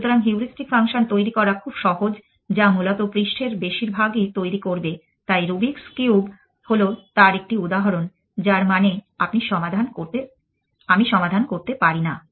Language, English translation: Bengali, So, easy to devise heuristic function which will generates most of surface essentially, so Rubik’s cube is just an example of that which mean that I cannot solve